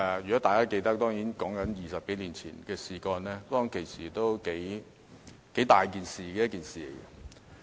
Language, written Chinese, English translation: Cantonese, 如果大家仍記得，該事件在20多年前是一件大事。, I believe Members may still remember this controversial incident some 20 years ago